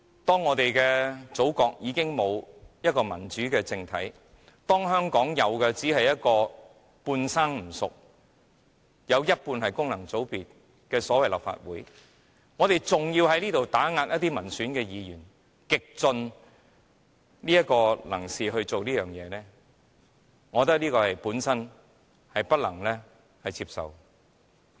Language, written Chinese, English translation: Cantonese, 當我們的祖國已經沒有民主政體，當香港有的只是半生不熟、半數議席由功能界別佔據的立法會，若我們還要在這裏極力打壓民選議員，我覺得這是不能接受的。, When there is no democratic political system on our Motherland when the Hong Kong Legislative Council is still immature with half of the seats occupied by functional constituencies I consider it unacceptable for us to go so far as to suppress an elected Member here